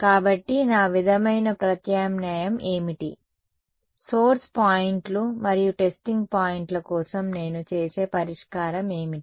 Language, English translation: Telugu, So, what is my sort of alternate, what is the solution that I will do for source points and testing points